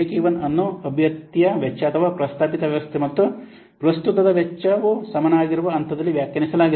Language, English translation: Kannada, Break even is defined at the point where the cost of the candidate or the proposed system and that of the current one are equal